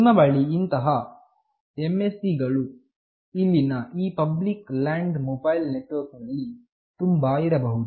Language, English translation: Kannada, You can have multiple such MSC’s here in the public land mobile network